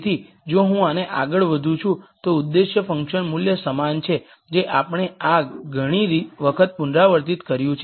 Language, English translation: Gujarati, So, if I am moving on this the objective function value the same we have repeated this several times